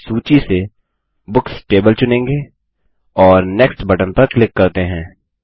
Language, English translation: Hindi, We will choose the Books table from the list and click on the Next button